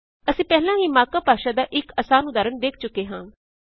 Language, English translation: Punjabi, We already saw one simple example of the mark up language